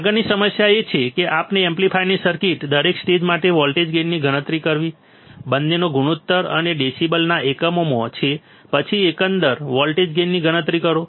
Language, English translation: Gujarati, The next problem is to calculate the voltage gain for each stage of this amplifier circuit both has ratio and in units of decibel, then calculate the overall voltage gain